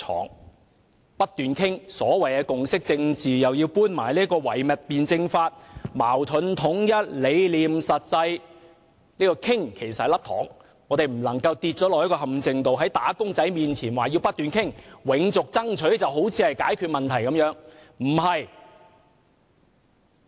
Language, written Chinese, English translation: Cantonese, 陸議員不斷提及所謂的共識政治，又搬出唯物辯證法，討論矛盾與統一，理念與實際；這種討論其實是一顆"糖"，我們不能墮入陷阱，在"打工仔"面前說要不斷討論，永續爭取便好像是解決問題之道。, Mr LUK kept referring to what he called consensus politics and cited dialectical materialism as the basis of his discussion on contradictions vis - à - vis unity and ideals vis - à - vis reality . That kind of discussion is actually the penny . We must not fall into the trap of preaching to wage earners that we have to engage in continuous discussion or perpetual striving as if it were the solution